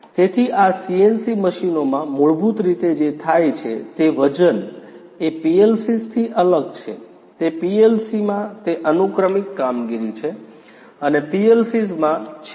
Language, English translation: Gujarati, So, in this CNC machines basically you know what happens is you know the weight is different from the PLCs is that in the PLC it is the sequential operation and in the PLCs